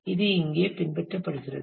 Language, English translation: Tamil, So, this is what is explained here